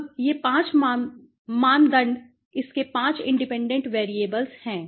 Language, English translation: Hindi, Now, these 5 criteria are its 5 independent variables